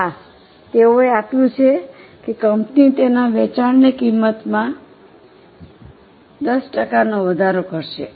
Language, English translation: Gujarati, Yes, they have given that company will increase its selling price